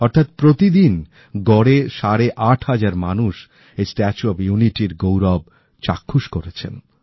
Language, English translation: Bengali, This means that an average of eight and a half thousand people witnessed the grandeur of the 'Statue of Unity' every day